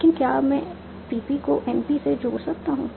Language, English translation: Hindi, But now can I attach PP to NP